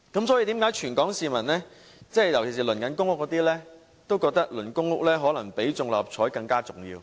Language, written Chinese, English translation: Cantonese, 所以，為何全港市民，尤其是正在輪候公屋的市民，都覺得輪候公屋可能比中六合彩更重要？, Therefore for all Hong Kong people in particular those who are waiting for public housing it is perhaps more important to wait for public housing than to win the Mark Six lottery